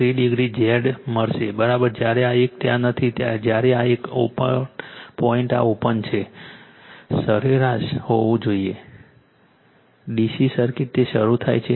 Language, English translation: Gujarati, 3 degree your Z is equal to when this one is not there when this one this point this is open mean you have to DC circuit it is started right